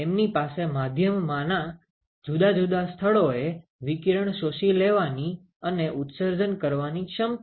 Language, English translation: Gujarati, So, they have a definite, they have the ability to absorb and emit radiation at different locations in the media